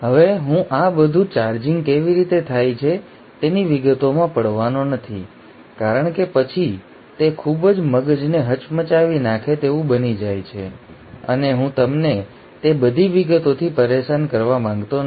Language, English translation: Gujarati, Now I am not going to get into details of how all this charging happens because then it becomes too mind boggling and I do not want to bother you with all those details